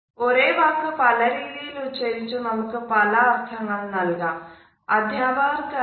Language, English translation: Malayalam, We can pronounce the same word in order to convey different types of meanings